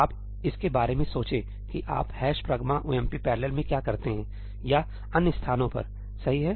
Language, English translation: Hindi, Just think of it as what do you do in ëhash pragma omp parallelí or at other places, right